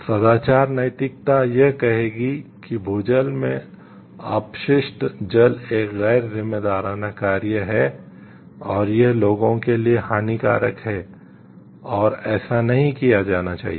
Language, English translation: Hindi, Virtue ethics would say that the discharging waste into groundwater is an irresponsible act and harmful to individuals and should not be done